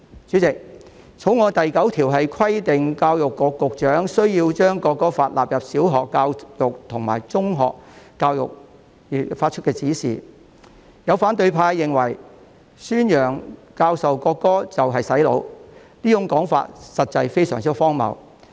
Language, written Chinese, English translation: Cantonese, 主席，《條例草案》第9條規定教育局局長須就將國歌納入小學教育及中學教育發出指示，有反對派認為，宣揚、教授國歌即是"洗腦"，這種說法實在非常荒謬。, Chairman clause 9 of the Bill requires the Secretary for Education to give directions for the inclusion of the national anthem in primary education and in secondary education . Some people of the opposition camp hold that promoting and teaching the national anthem is equivalent to brainwashing such remarks are indeed extremely ridiculous